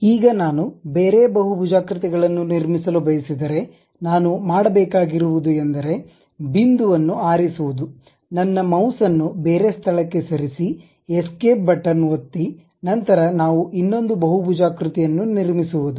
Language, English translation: Kannada, Now, if I would like to construct multiple polygons, what I have to do is pick the point, just move my mouse to some other location, press Escape button, then we we are done with that another polygon